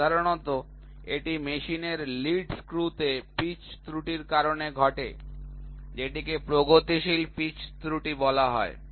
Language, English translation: Bengali, Generally, it is caused by the pitch error in the lead screw of the machine this is called as progressive pitch error